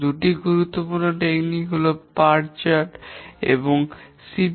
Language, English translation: Bengali, Two important techniques are the Perth chart and the CPM